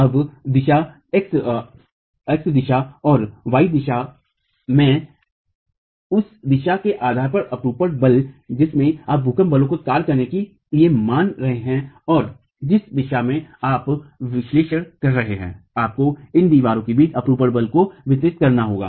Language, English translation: Hindi, Now, in the X direction and the Y direction, the shear force, depending on the direction in which you are assuming the earthquake force to act and the direction in which you are doing the analysis, you will have to distribute the shear force between these walls